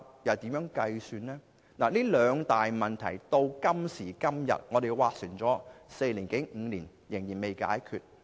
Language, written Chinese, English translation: Cantonese, 就這兩大問題，今時今日，我們已經斡旋四五年，但問題仍未能解決。, After discussing for four to five years these two problems have yet to be resolved